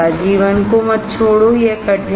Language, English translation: Hindi, Do not give up life, it is hard of course